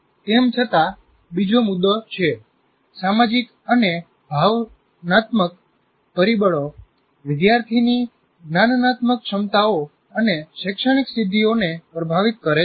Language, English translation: Gujarati, Social and emotional factors influence students' cognitive abilities and academic achievements